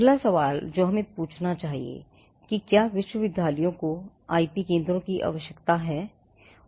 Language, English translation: Hindi, Now, the first question that we need to ask is whether universities need IP centres